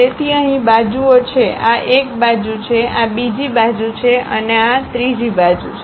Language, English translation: Gujarati, So, here the faces are; this is one face, this is the other face and this is the other face